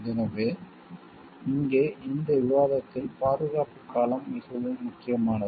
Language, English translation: Tamil, So, here in this discussion the duration of the protection is also very important